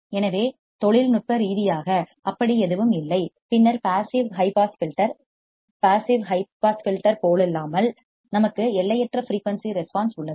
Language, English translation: Tamil, So, technically there is no such thing and then active high pass filter unlike passive high pass filter we have an infinite frequency response